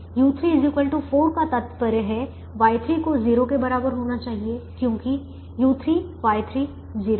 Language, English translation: Hindi, u three is equal to four implies y three has to be equal to zero because u three, y three is zero